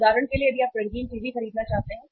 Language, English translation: Hindi, For example if you want to buy a colour TV